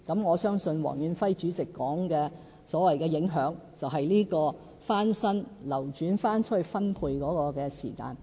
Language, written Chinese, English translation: Cantonese, 我相信，黃遠輝主席提到的所謂影響，是指翻新後流轉出去分配的時間。, I think the impact mentioned by Chairman Stanley WONG refers to the turnaround time for units to be refurbished and then reallocated